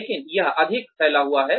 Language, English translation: Hindi, But, it is more spread out